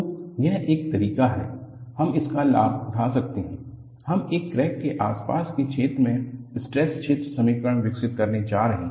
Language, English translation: Hindi, So, the one way, what we could take advantage of this is, we are going to develop stress field equations in the vicinity of a crack